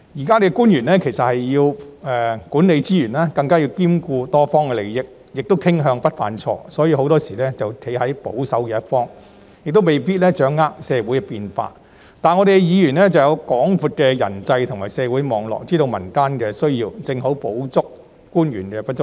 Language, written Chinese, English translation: Cantonese, 官員現時要管理資源，更要兼顧多方利益，亦傾向不想犯錯，所以很多時會站在保守一方，也未必掌握社會變化；而議員有廣闊的人際及社會網絡，知道民間需要，正好補足官員的不足。, Officials now have to manage resources and even juggle the interests of multiple parties and they tend to avoid making mistakes so they often stay on the conservative side . Moreover they may not necessarily be able to grasp social changes . In contrast Members have wide - stretching interpersonal and social networks which enable them to know the needs of the community so this strength is perfect for making up the shortcomings of officials